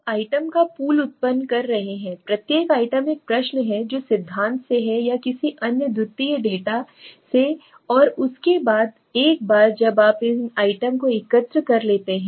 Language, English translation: Hindi, You are generating the pool of the items, each item is a question right, which is from the theory or any other secondary data right and after this once you have collected these items